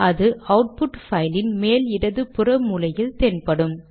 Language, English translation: Tamil, It appears in the top left hand corner of the output